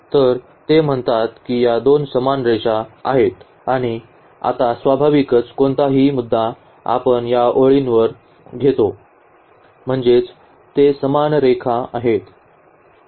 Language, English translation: Marathi, So, they say these two are the same lines and now naturally any point we take on this line I mean they are the same line